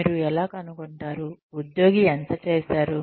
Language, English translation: Telugu, How will you find out, how much the employee has done